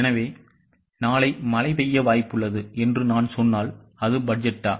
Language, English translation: Tamil, So, if I say that tomorrow it is likely to rain, is it a budget